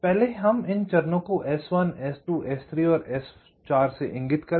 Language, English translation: Hindi, so i call them s one, s two, s three and s four